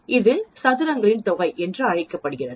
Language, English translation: Tamil, This is called sum of squares